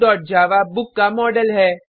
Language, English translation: Hindi, Book.java is a book model